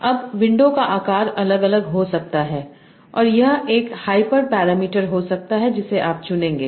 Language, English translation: Hindi, Now window size can vary and this can be a hyper parameter that you will choose